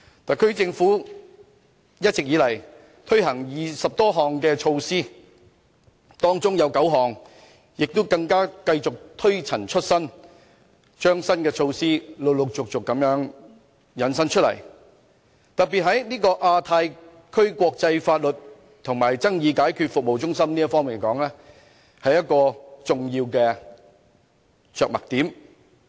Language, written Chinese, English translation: Cantonese, 特區政府一直以來共推行20多項措施，當中9項更繼續推陳出新，陸續引申出新措施，就以亞太區國際法律及爭議解決服務中心來說，這便是一個重要的着墨點。, So far the SAR Government has rolled out over 20 measures 9 of which are based on old measures but are infused with new elements . For instance the development of Hong Kong as the International Legal and Dispute Resolution Services Centre in the Asia - Pacific Region is such an example which is an important measure in the Policy Address